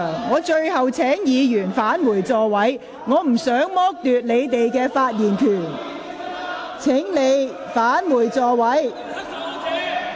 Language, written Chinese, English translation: Cantonese, 我請議員返回座位，我不想剝奪你們的發言權，請返回座位。, I urge Members to return to their seats . I do not wish to deprive you of your right to speak . Please return to your seats